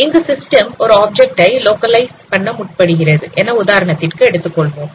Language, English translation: Tamil, You can see that in this scene the system tries to localize an object